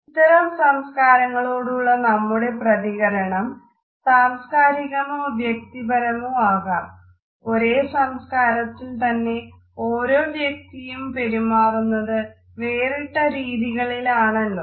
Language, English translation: Malayalam, Our sensitivity to these differences which may be cultural as well as individual because in the same culture we find that individual behaviors may also be different